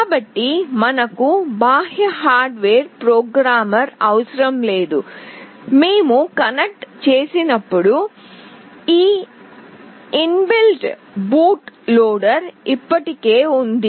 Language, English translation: Telugu, So, we do not need to have any external hardware programmer; rather if when we connect this inbuilt boot loader is already there